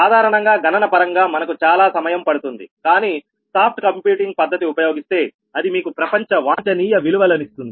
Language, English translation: Telugu, computationally it may take more time, but soft computing technique, if you apply that, will give you a global optimum value